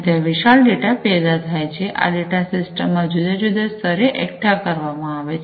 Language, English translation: Gujarati, And there is huge, a data that is generated, this data are aggregated at different levels in the system